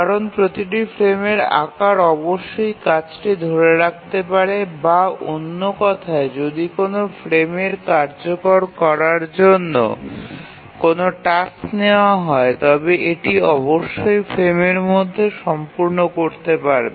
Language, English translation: Bengali, If you remember why this is so, it's because every frame size must hold the task or in other words, if a task is taken up for execution in a frame, it must complete within the frame